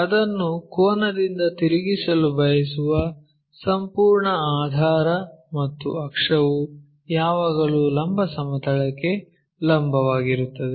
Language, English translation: Kannada, This is entire base we want to rotate it by an angle and axis is always be perpendicular to vertical plane